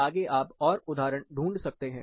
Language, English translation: Hindi, You can find more examples further